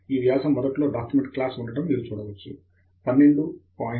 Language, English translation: Telugu, You can see that the article will have at the top document class, 12 point, A4 paper, Article